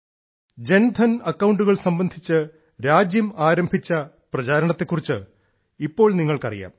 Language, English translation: Malayalam, You are aware of the campaign that the country started regarding Jandhan accounts